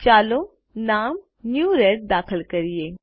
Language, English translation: Gujarati, Lets enter the name New red